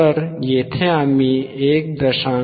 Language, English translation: Marathi, So, then we have 1